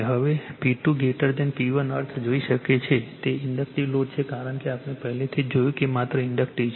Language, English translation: Gujarati, Now, now you can see the P 2 greater than P 1 means, it is Inductive load because already we have seen it is Inductive only